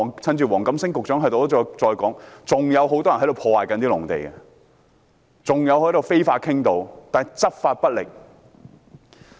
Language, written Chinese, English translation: Cantonese, 趁着黃錦星局長在席，我重申一點，現時仍有很多人在破壞農地，還有非法傾倒活動，但當局執法不力。, Since Secretary WONG Kam - sing is here I want to reiterate one point . At present many people are still spoiling agricultural land and engaging in fly - tipping activities but the authorities have been ineffective in taking enforcement actions